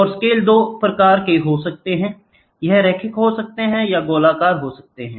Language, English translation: Hindi, And the scales can be of 2, it can be linear, it can be circular